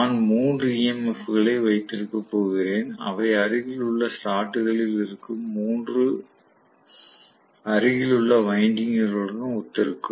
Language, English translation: Tamil, So, I am going to have three EMS which are corresponding to three adjacent windings which are in adjacent slots